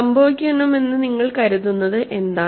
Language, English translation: Malayalam, What you think it should happen